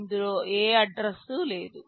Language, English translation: Telugu, It does not contain any address